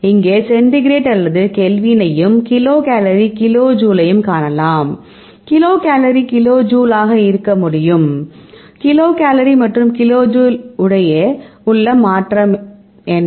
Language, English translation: Tamil, You can see centigrade or Kelvin here also, you can is kilo kcal kilo jule so, so, what is the conversion between kilo kcal and kilo jule right, when kilo kcal equal to 4